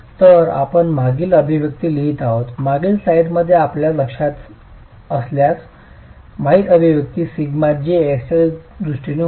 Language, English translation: Marathi, So we write the previous expression, the previous expression if you remember in the previous slide was in terms of sigma j x